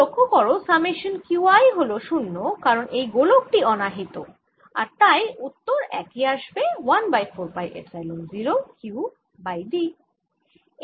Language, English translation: Bengali, however, notice that summation q i is zero because this sphere is uncharge and therefore this answer comes out to be one over four pi epsilon zero, q over d